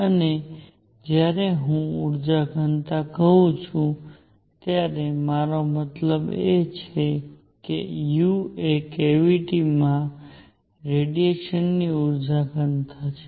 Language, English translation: Gujarati, And when I say energy density I mean u is the energy density of radiation in the cavity